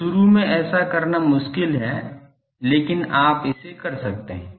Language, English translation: Hindi, So, that is difficult to do initially, but you can do it